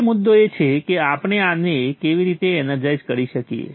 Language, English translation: Gujarati, Now the issue is how do we energize this